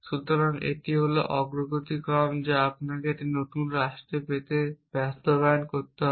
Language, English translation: Bengali, So, that is the progress action that you have to implement to get this new state K